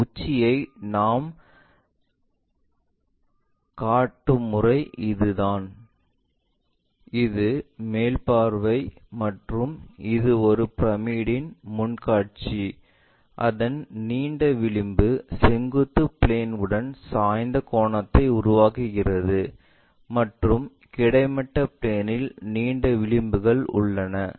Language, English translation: Tamil, This is the way we construct this top, this is the top view and this is the front view of a pyramid whose longer edge is making an inclined angle with the vertical plane and is longest edges resting on the horizontal plane also